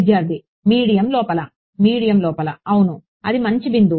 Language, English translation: Telugu, Inside the medium Inside the medium yes that is a good point right